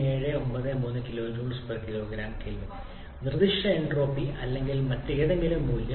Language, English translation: Malayalam, 3793 kilo joule per kg kelvin the specific entropy that is or any other value